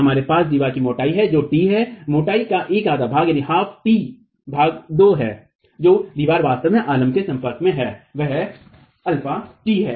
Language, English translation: Hindi, We have thickness of the wall which is t by 2 and t by 2, one half of the thickness is t by 2